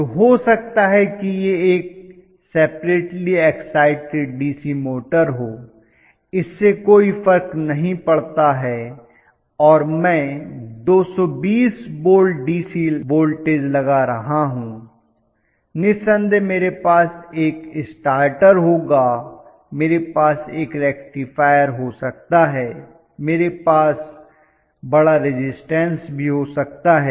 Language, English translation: Hindi, So, maybe it will be a separately exited DC motor it does not matter and I am going to apply the voltage say 220 volts DC, ofcourse I will have a stator, I may have a rectifier, I may have large resistance whatever